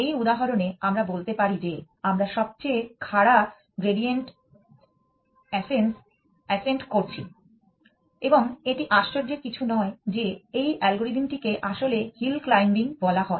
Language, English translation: Bengali, In this example, we can say that we are doing steepest gradient ascent and it is not surprising that this algorithm is actually call hill climbing